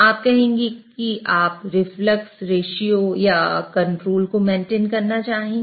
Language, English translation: Hindi, You would say that you would want to control or maintain reflux ratio